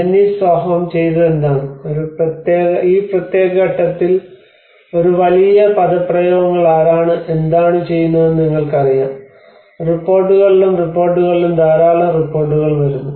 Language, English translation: Malayalam, And Jennie Sjoholm what she did was because in this particular point of time there is a huge jargon on you know who is doing what and there are many reports coming on reports and reports